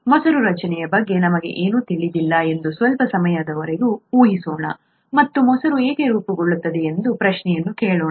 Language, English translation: Kannada, Let us assume for a while that we know nothing about curd formation and ask the question, why does curd form